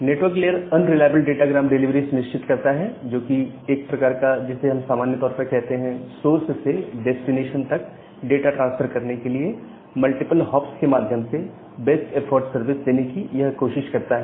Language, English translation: Hindi, So, the network layer ensures unreliable datagram delivery which is a kind of what we normally say as the best effort service to tries its best to transfer the data packet from the source to the destination, via multiple such hops